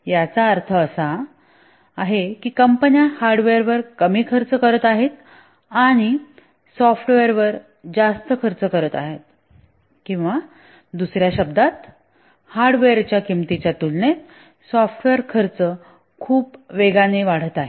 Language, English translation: Marathi, What it means is that companies are spending less on hardware and more on software or in other words, software costs are increasing very rapidly compared to hardware costs